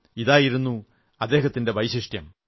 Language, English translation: Malayalam, This is what was so special about him